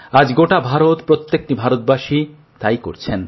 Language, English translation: Bengali, Today the whole of India, every Indian is doing just that